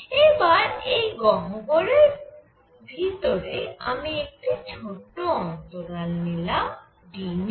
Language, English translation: Bengali, So, now I consider in this cavity a small interval of d nu